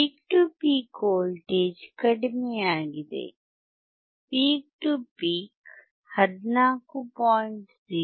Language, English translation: Kannada, Peak to peak voltage is decreased, you see peak to peak is 14